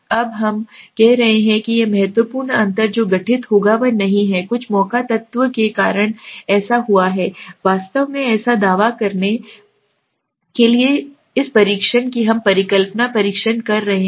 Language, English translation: Hindi, Now we are saying that this significant difference that is happened will happen is not one which has happened due to some chance element it is actually it has happened right so to claim or to test this we are doing the hypothesis test right